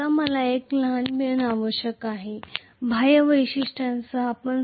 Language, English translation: Marathi, Now a small twist I have to introduce in the external characteristics